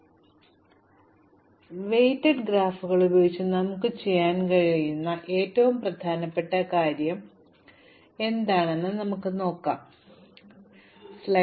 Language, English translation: Malayalam, The most important thing that we can do with weighted graphs is to compute shortest paths